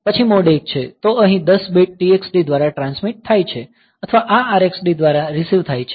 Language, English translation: Gujarati, Then mode 1; so, here 10 bits are transmitted through T x D or this or received through a R x D